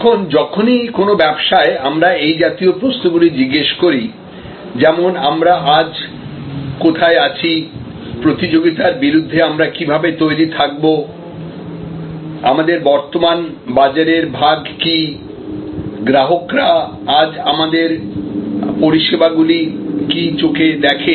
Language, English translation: Bengali, Now, whenever in a business we ask such questions, like where are we today, how do we stack up against the competition, what is our current market share, how do customers perceive our services today